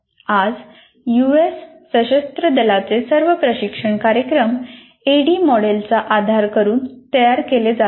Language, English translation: Marathi, Today all the US Armed Forces, all training programs for them continue to be created using the ADI model